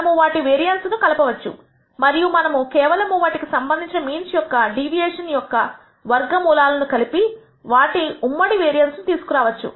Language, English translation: Telugu, So, we can pool their variances and we can obtain a pooled variance by just taking the sum square deviation of all with their respective means and then obtaining a pooled variance